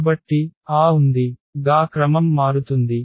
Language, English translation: Telugu, So, accordingly that order will change